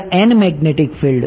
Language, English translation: Gujarati, n magnetic field at